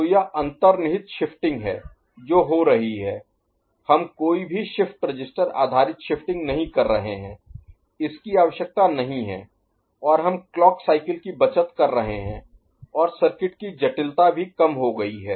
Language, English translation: Hindi, So, that is the inherent shifting that is happening we are not doing any shift register based shifting is not required and we are saving on clock cycles and also the complexity of the circuit is reduced